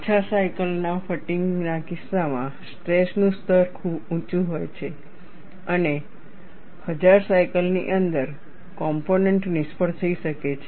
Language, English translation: Gujarati, In the case of low cycle fatigue, the stress levels are very high, and within 1000 cycles the component may fail